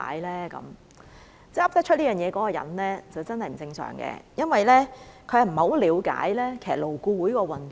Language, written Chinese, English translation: Cantonese, 說得出這種話的人真的是不正常，因為他並不了解勞顧會的運作。, The person who made such a remark is really abnormal because he or she has no idea how LAB works at all